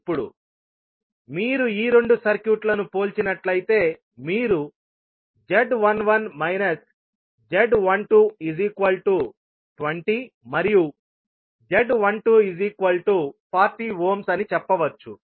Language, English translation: Telugu, Now, if you compare these two circuits you can say that Z11 minus Z12 is simply equal to 20 ohm and Z12 is 40 ohms